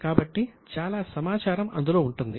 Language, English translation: Telugu, So, a lot of information will be available